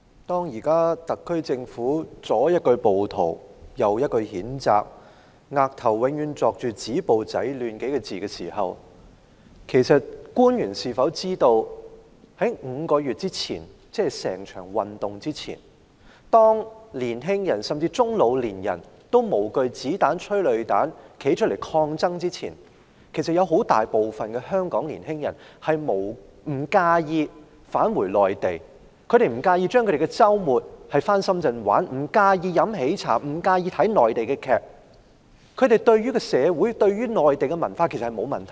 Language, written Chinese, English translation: Cantonese, 主席，特區政府左一句暴徒，右一句譴責，額頭永遠刻上"止暴制亂"幾個字，其實官員是否知道在5個月前，即這種運動之前，年青人或中老年人都無懼子彈、催淚彈站出來抗爭之前，其實有很大部分香港年青人不介意返回內地，不介意周末到深圳玩樂，不介意喝喜茶，不介意看內地劇集，他們對於社會或內地文化完全沒有抗拒。, President the SAR Government mentioned rioters and condemnation constantly and has stopping violence and curbing disorder etched on its forehead . However do public officers know that five months ago before this movement before young middle - and old - aged people came out to struggle without fear of bullets and tear gas most Hong Kong young people actually did not mind going to the Mainland going to Shenzhen for fun on weekends drinking HEYTEA or watching Mainland television drama series? . They did not resist Mainland society or culture whatsoever